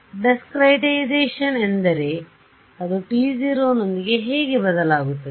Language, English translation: Kannada, Discretization is how does that change with t naught